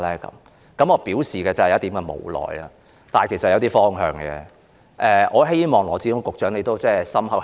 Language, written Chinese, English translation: Cantonese, 我當時表示有點無奈，但其實我是有些方向的，我希望羅致光局長會加以考慮。, I expressed resignation at that time but actually I did have some direction . I hope Secretary Dr LAW Chi - kwong will consider my idea